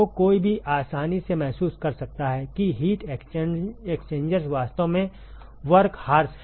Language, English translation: Hindi, So, one can easily realize that heat exchangers are really the workhorse